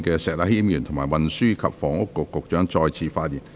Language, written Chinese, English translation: Cantonese, 石禮謙議員，請問你是否想再次發言。, Mr Abraham SHEK do you wish to speak again?